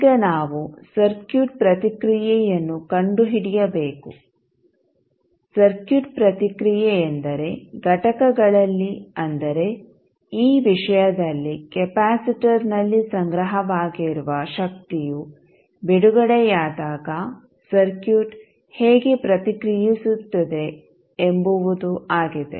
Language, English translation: Kannada, Now that we have to do, we have to find out the circuit response, circuit response means, the manner in which the circuit will react when the energy stored in the elements which is capacitor in this case is released